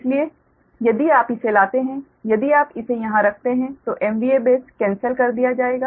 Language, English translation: Hindi, so if you, if you bring, if you put it here, the m v a base, m v a base will be cancelled